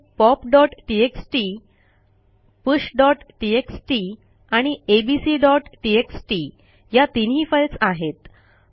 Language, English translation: Marathi, Here are the files pop.txt,push.txt and abc.txt Let us clear the screen